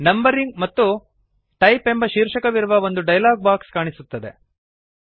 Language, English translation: Kannada, You see that a dialog box appears on the screen with headings named Numbering and Type